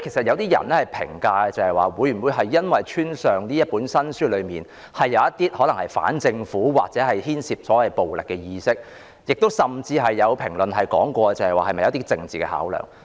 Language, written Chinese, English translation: Cantonese, 有些人推測是否因為這本新書中可能牽涉反政府或暴力意識，甚至有人推斷是否基於政治考量。, Some speculate that the classification might be attributed to the anti - government or violent nature of the book or some even speculate that political considerations are involved